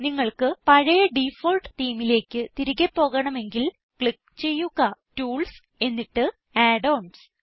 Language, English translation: Malayalam, If, for some reason, you wish to go back to the default theme, then, just click on Tools and Add ons